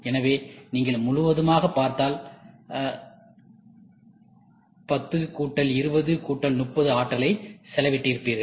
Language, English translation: Tamil, So, if you see totally, you would have spent 10 plus 20 plus 30